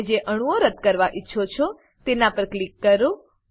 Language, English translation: Gujarati, Click on the atoms you want to delete